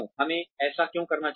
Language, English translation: Hindi, This should be done